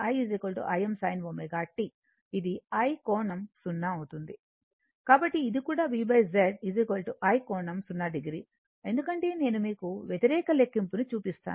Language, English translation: Telugu, So, this is also V by Z is i angle 0 degree, because I just show you the reverse calculation